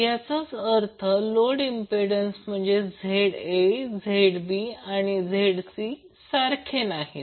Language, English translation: Marathi, It means that the load impedances that is ZA, ZB, ZC are not same